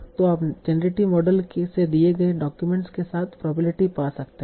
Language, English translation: Hindi, So you can find the probability of a document given the class from the generating model